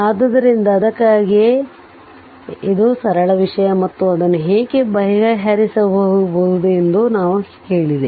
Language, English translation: Kannada, So, that is why; so this is a simple thing and I told you how to break it